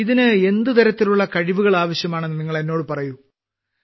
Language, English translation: Malayalam, Tell us what kind of skills are required for this